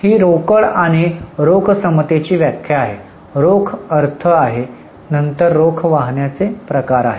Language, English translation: Marathi, This is the definition of cash and cash equivalent, the meaning of cash, then the types of cash flows